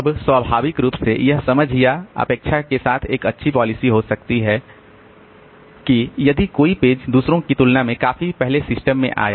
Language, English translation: Hindi, Now, naturally so this may be a good policy with the understanding or expectation that if a page came into the system quite early compared to others